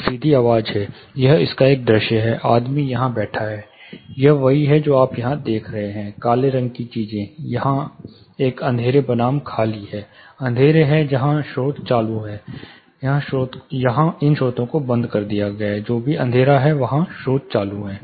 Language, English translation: Hindi, There is one direct sound say this is a plan, this is a view of it, the guy is sitting here this is straight what you see here, the darkened things, there is a dark versus empty the dark ones are where the speakers are on, these speakers are turned off whichever is dark those speakers are on